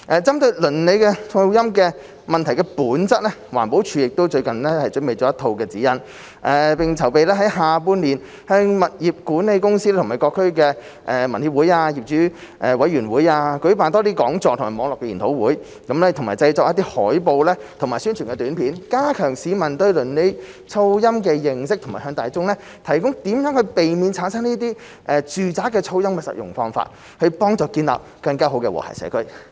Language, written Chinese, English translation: Cantonese, 針對鄰里噪音問題的本質，環保署最近亦準備了一套指引，並正籌備在下半年向物業管理公司及各區居民協會和業主委員會舉辦多些講座及網絡研討會，以及製作海報及宣傳短片，加強市民對鄰里噪音的認識及向大眾提供如何避免產生住宅噪音的實用方法，以幫助建立更好的和諧社區。, Having regard to the nature of neighbourhood noise problems EPD has recently prepared a set of guidelines and will organize more talks and webinars in the second half of this year for property management companies relevant residents associations and owners committees . EPD will also produce posters and promotion video on the subject . These initiatives seek to enhance public awareness of neighbourhood noise and to provide practical ways to the public to avoid making noise nuisance thereby building a better and harmonious community